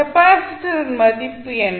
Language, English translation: Tamil, The value of capacitor is 0